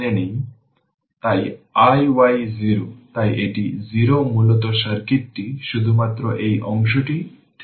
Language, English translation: Bengali, So, i y 0, so this is 0 basically circuit remains only this part